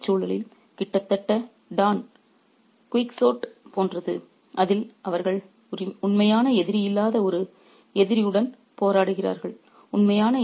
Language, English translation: Tamil, It's a, it's almost like Don Quixote in the Indian context where they fight an enemy which who is not a real enemy